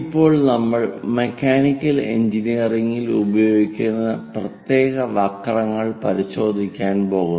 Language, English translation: Malayalam, And now we are going to look at special curves used in mechanical engineering